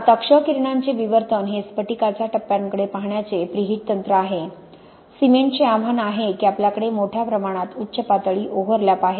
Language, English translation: Marathi, Now X ray diffraction is where the preheat technique for looking at the crystalline phases, the challenge we have with cement is we have a huge amount of peak overlap